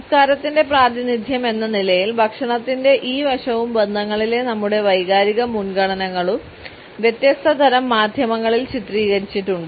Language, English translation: Malayalam, We find that this aspect of food as a representation of culture as well as our emotional preferences within relationships has been portrayed across different types of media